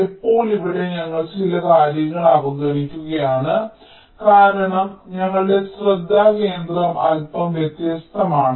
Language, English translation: Malayalam, ah, we are ignoring here, because our point of focus is a little different